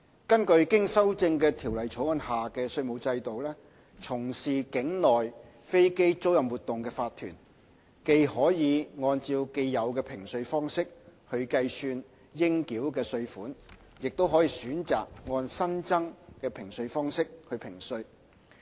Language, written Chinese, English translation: Cantonese, 根據經修正的《條例草案》下的稅務制度，從事境內飛機租賃活動的法團，既可按既有的評稅方式計算其應繳稅款，亦可選擇按新增的評稅方式評稅。, As provided under the amended Bill corporations engaging in onshore aircraft leasing activities can choose to be assessed by the existing tax assessment regime or by the newly added tax assessment regime